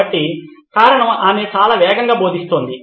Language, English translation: Telugu, So this is the reason is, she is teaching very fast